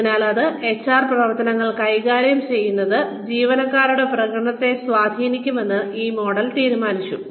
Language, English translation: Malayalam, So, this model assumed that, managing these HR activities could influence, employee performance